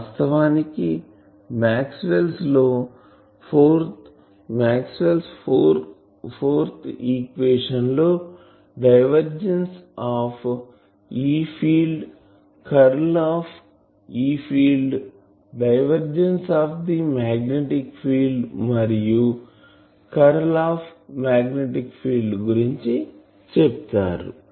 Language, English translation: Telugu, Actually that is why Maxwell’s equation contains divergence of E field and curl of E field, divergence of magnetic field and curl of magnetic field four equations are that